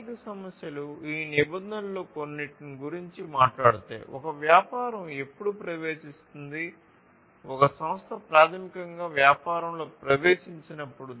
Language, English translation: Telugu, So, economic issues basically talks about some of these regulations, when a business will enter, when an institution basically enters a business